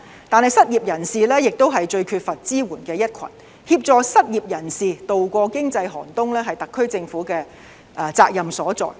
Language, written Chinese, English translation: Cantonese, 但是，失業人士是最缺乏支援的一群，協助失業人士度過經濟寒冬，是特區政府的責任所在。, Nevertheless unemployed people are the most vulnerable ones . The SAR Government is duty - bound to assist unemployed people to tide over this economic downturn